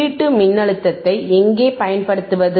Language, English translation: Tamil, Now, we have to apply the input voltage